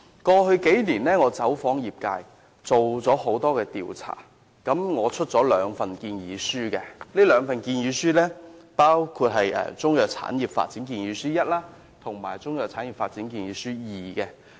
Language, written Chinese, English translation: Cantonese, 過去數年，我走訪了業界，進行了多項調查，分別在2014年和2016年發表了"香港中藥產業發展建議書一"及"香港中藥產業發展建議書二"")。, In the past few years I have visited and interviewed members of the industry to conduct a number of surveys . We published the Proposal for the development of the Chinese Medicine industry in Hong Kong I and the Proposal for the development of the Chinese Medicine industry in Hong Kong II in 2014 and 2016 respectively